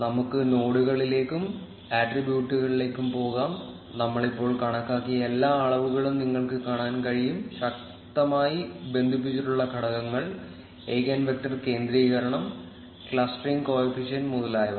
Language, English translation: Malayalam, Let us go to nodes, attributes, and you will be able to see all the measures which we have computed just now, like the strongly connected components, eigenvector centrality, clustering co efficient etcetera